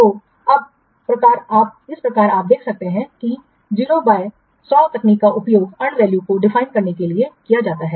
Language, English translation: Hindi, So in this way, you can see that here the 0 by 100 technique is used for assigning unvalues